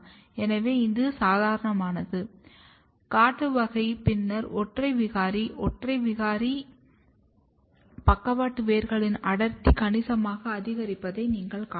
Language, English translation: Tamil, So, this is normal, wild type, then single mutant; single mutant, you can see that density of lateral roots are significantly increased